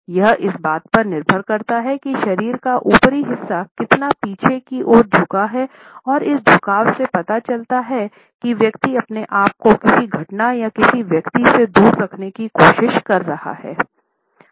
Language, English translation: Hindi, It depends on how far the upper part of the body is leaned back and this leaning back suggests the distance the person is trying to keep to some event or to some person